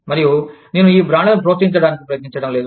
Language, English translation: Telugu, And, i am not trying to promote, these brands